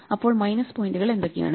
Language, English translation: Malayalam, So, what are the minus points